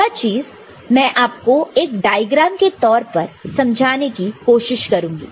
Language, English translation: Hindi, So, what I mean over here let me draw a diagram which may make it clear to you